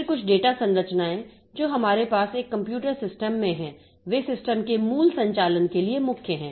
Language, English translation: Hindi, Then some of the data structures that we have in a computer system, they are core to the basic operation of the system